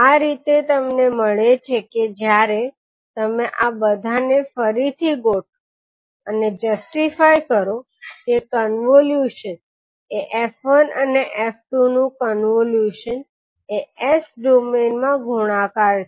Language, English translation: Gujarati, So this is how you get when you rearrange the terms and justify that the convolution is, convolution of f1 and f2 is multiplication in s domain